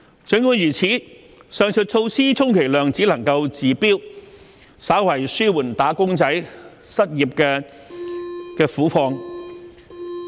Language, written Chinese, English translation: Cantonese, 儘管如此，上述措施充其量只能治標，稍為紓緩"打工仔"失業之苦。, Nevertheless the above measures can at best only be a temporary solution which can slightly alleviate the plights of the unemployed wage earners